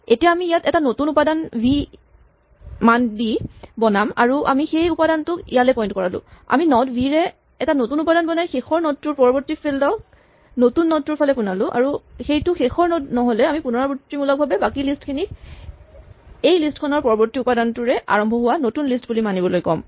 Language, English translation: Assamese, Now, we create a new element here with the value v and we make this element point to this, we create a new element with the node v and set the next field of the last node to point to the new node and if this is not the last value then well we can just recursively say to the rest of the list treat this as a new list starting at the next element, take the next element and recursively append v to that